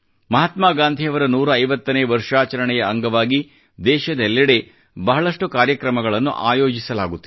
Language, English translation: Kannada, Many programs are being organized across the country in celebration of the 150th birth anniversary of Mahatma Gandhi